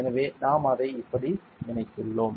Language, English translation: Tamil, So, we have connected it like this